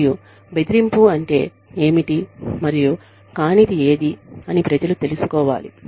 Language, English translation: Telugu, And, people should know, what bullying is, and what it is not